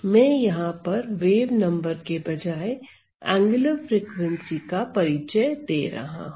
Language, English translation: Hindi, So, I am introducing, you know angular frequency instead of my wave number